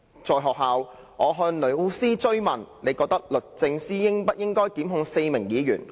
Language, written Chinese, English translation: Cantonese, 在學校，我向老師追問：'你覺得律政司應不應該檢控4名議員？, When I asked my teacher in school Do you think the Department of Justice should prosecute the four Members?